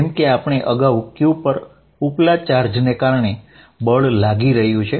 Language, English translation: Gujarati, Now force, as we said earlier on q is going to be force due to upper charge